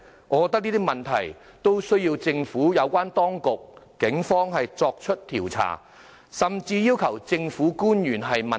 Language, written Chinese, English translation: Cantonese, 我覺得這些問題都需要政府有關當局和警方作出調查，甚至要求政府官員問責。, The Government and the Police should also investigate these questions or even holding relevant government officials accountable